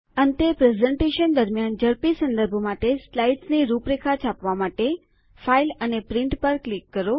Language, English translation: Gujarati, Lastly, to print the outline of the slides for quick reference during a presentation, click on File and Print